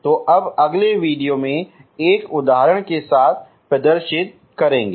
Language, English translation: Hindi, So now will demonstrate with an example in the next video